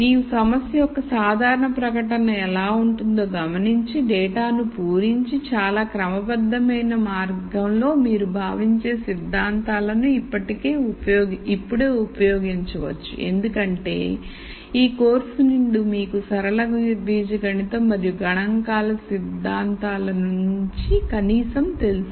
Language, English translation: Telugu, So, you notice how a general statement of a problem, fill in data, can be eshed out in a very systematic way and then you can use concepts that you know, right now since you know from this course at least only concepts from linear algebra and statistics